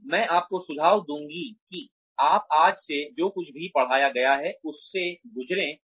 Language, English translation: Hindi, But, I would suggest that, you go through, whatever has been taught today